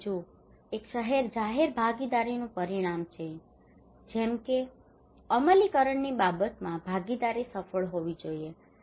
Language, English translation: Gujarati, And another one is the outcome of public participation, like participation should be successful in terms of implementations